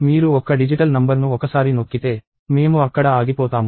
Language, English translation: Telugu, And once you hit a single digital number, we stop there